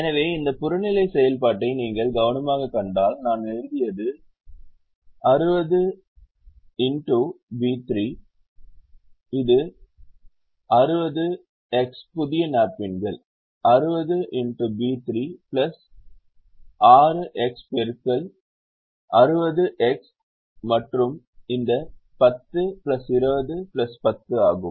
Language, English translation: Tamil, so if you see this objective functions carefully, what i have written is sixty into b three, which is sixty into the new napkins, sixty into b three plus sixty into this plus sixty into this ten plus twenty plus ten